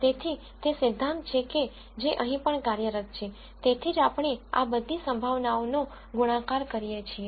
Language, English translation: Gujarati, So, that is the principle that is also operating here, that is why we do this product of all the probabilities